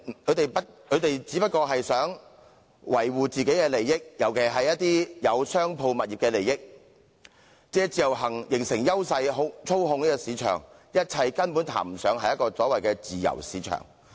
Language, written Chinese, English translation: Cantonese, 他們只是希望維護自己的利益，尤其是他們持有商鋪物業的利益，借自由行形成優勢，操控市場，一切根本談不上自由市場。, They merely want to safeguard their own interests particularly interests in commercial properties held by them using IVS to forge their competitive advantages and monopolize the market . A free market is simply out of the question